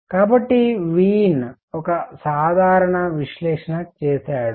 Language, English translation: Telugu, So, Wien did a simple analysis